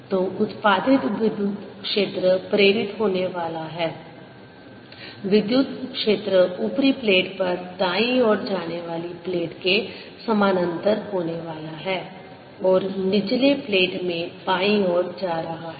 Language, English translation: Hindi, electric field is going to be like parallel to the plate, going to the right on the upper plate and going to the left on the lower plate